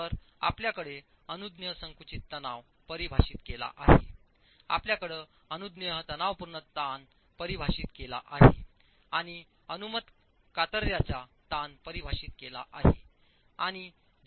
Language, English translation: Marathi, So you have the permissible compressive stress defined, you have the permissible tensile stress defined and the permissible shear stress defined